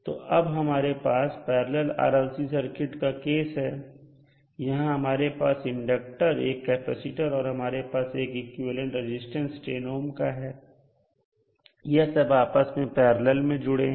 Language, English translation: Hindi, So, now we have a case of parallel RLC circuits, so we have inductor, we have capacitor and we will have another equivalent resistance of 10 ohm which is again in parallel